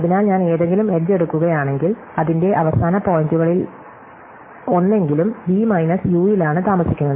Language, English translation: Malayalam, So, therefore, if I take any edge at least one of it is end points lives in V minus U